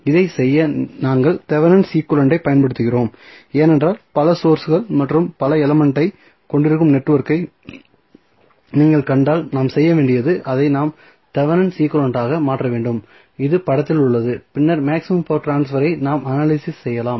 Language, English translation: Tamil, So, to do this we use Thevenin equivalent, because, if you see the network, which may be having multiple sources and multiple elements, what we have to do we have to convert it into the Thevenin equivalent which is there in this in the figure and then we can analyze the maximum power transfer